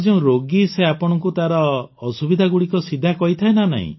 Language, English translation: Odia, And the one who is a patient tells you about his difficulties directly